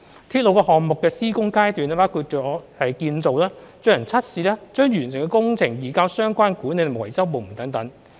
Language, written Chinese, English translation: Cantonese, 鐵路項目的施工階段包括建造、進行測試、將完成的工程移交相關管理及維修部門等。, The construction stage of a railway project covers construction testing handing over the completed works to the management and maintenance parties etc